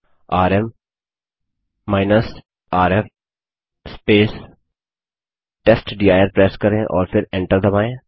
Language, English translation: Hindi, Press rm rf testdir and then press enter